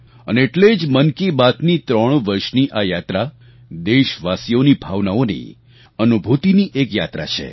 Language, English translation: Gujarati, And, this is why the threeyear journey of Mann Ki Baat is in fact a journey of our countrymen, their emotions and their feelings